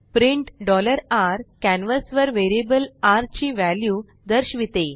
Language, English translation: Marathi, print $x displays the value of variable x on the canvas